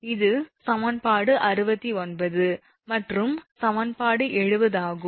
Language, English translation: Tamil, This is equation 69 and this is equation 70